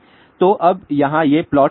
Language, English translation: Hindi, So, now, here what these plots are